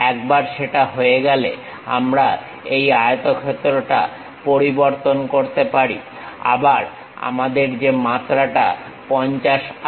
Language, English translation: Bengali, Once that is done, we can convert this rectangle which 50 dimensions, again we have